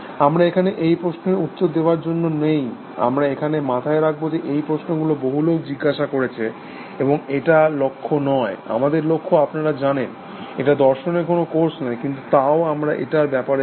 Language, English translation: Bengali, We will we are not here to answer this question, we are here to keep in mind, that these questions have been asked by many people, and this is not the goal, our goal to you know, it is not a course on philosophy, but still we should be aware of it